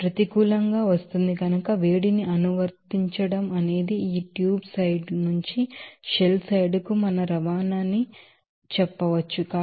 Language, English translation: Telugu, Since it is coming negative, we can say that the heat is applied it is our transport from this tube side to the shell side